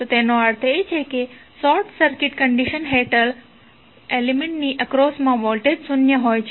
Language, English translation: Gujarati, So, it means that under short circuit condition the voltage across the element would be zero